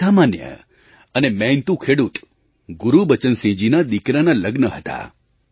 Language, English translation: Gujarati, The son of this hard working farmer Gurbachan Singh ji was to be married